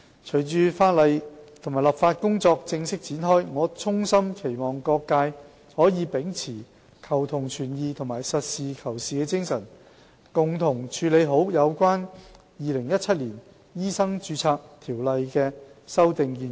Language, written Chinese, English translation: Cantonese, 隨着立法工作正式展開，我衷心期望各界可以秉持求同存異和實事求是的精神，共同處理好有關《2017年條例草案》的修訂建議。, With the formal commencement of legislative work I sincerely hope that all sectors can uphold the spirit of seeking common ground while reserving differences and seeking truth from facts so as to work together to handle the amendment proposals in the 2017 Bill